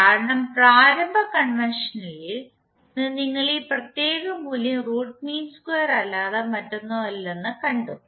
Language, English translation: Malayalam, Because from the initial convention we have seen that this particular value is nothing but root of square of the mean value